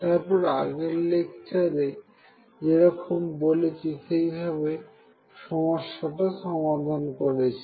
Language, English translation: Bengali, So, this is what we did in the previous lecture